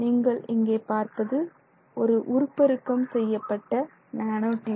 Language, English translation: Tamil, But basically you can see here a magnified view of the nanotube